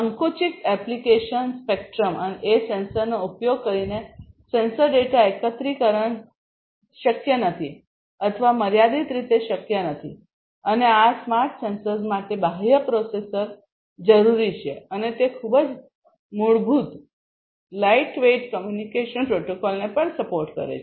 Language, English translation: Gujarati, Narrow application spectrum is the second limitation sensor data aggregation using the sensors is not possible or limitedly possible and external processor for sensor calibration is required for these smart sensors and also they would support very basic lightweight communication protocols